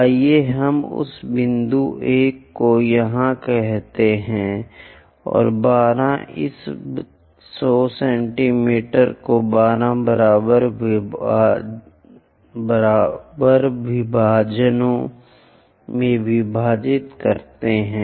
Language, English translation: Hindi, Let us call that point 1 here, and 12 divide this 100 mm into 12 equal divisions